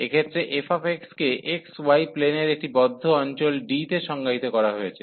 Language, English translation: Bengali, So, in this case let f x be defined in a closed region d of the x, y plane